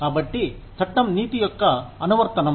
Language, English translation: Telugu, So, law is an application of ethics